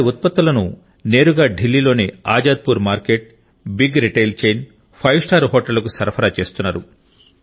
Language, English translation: Telugu, Their produce is being supplied directly to Azadpur Mandi, Delhi, Big Retail Chains and Five Star Hotels